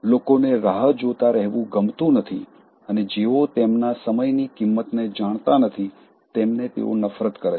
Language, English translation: Gujarati, People don’t like to be kept waiting and hate others who don’t know the value of their time